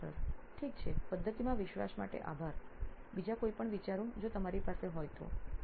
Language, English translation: Gujarati, Okay, thanks for the confidence in the method, any other open thoughts that you have